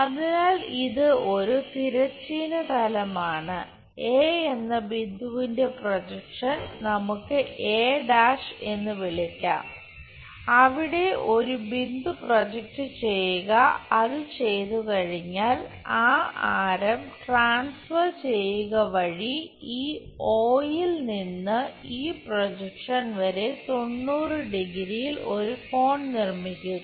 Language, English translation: Malayalam, So, this is horizontal plane, point A projection let us call a’ point a project, there once it is done from this O to this projection make an angle 90 degrees by transferring that radius